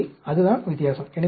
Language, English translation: Tamil, So, that is the difference